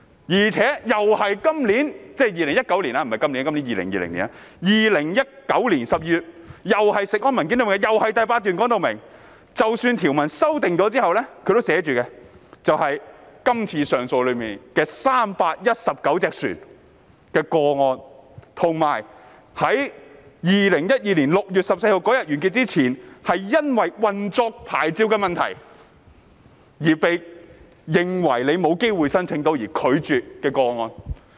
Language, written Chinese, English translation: Cantonese, 而且 ，2019 年12月事務委員會的文件，第8段已註明，即使在條文修訂後，今次只涉及319艘船的上訴個案，以及在2012年6月14日完結前因為運作牌照的問題，而被假設申請會遭拒絕的個案。, Moreover the eighth paragraph of the paper submitted to the Panel in December 2019 states clearly that even upon the amendment of the legislation it will merely involve the 319 vessels under appeal as well as the applications presumed to be refused in view of the operating licences by 14 June 2012